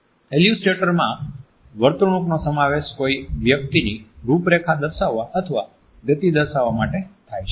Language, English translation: Gujarati, Illustrators include behaviors to point out outline a form or depict a motion